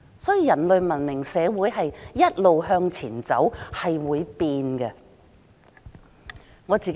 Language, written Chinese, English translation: Cantonese, 所以，人類文明社會一直向前走，是會改變的。, Therefore the civilized human world is advancing and things will be changed